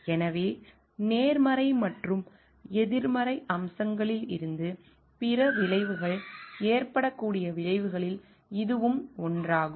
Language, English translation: Tamil, And so, this is one of the consequences there could be other consequences both from positive and negative aspect